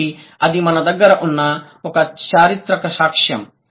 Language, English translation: Telugu, So, that's one evidence, historical evidence that we might have